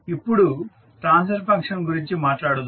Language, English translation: Telugu, Now, let us talk about the Transfer Function